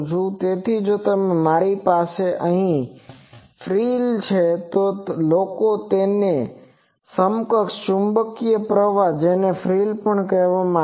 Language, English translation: Gujarati, So, if I have a frill here people have from that an equivalent magnetic current like these that will be also that is called Frill